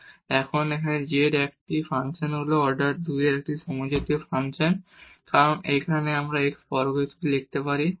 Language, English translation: Bengali, And, now this z here is a function of is a homogeneous function of order 2 because here we can write down as x square